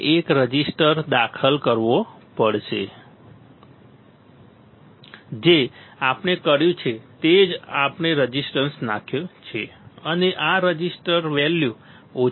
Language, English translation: Gujarati, We have to insert a resistor right that is what we have done we have inserted a resistor and this resistor value is low ok